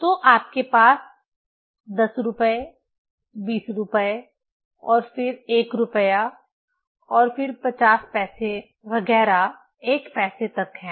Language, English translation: Hindi, So, you have money in 10 rupees, 20 rupees then 1 rupees then 50 paisa etcetera is up to 1 paisa